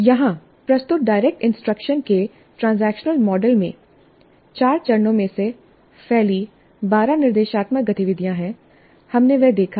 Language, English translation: Hindi, The transaction model of direct instruction presented here has 12 instructional activities spread over four phases